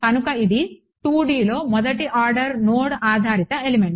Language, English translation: Telugu, So, this is the first order node based element in 2D ok